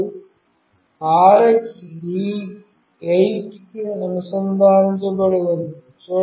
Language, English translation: Telugu, And the RX is connected to D8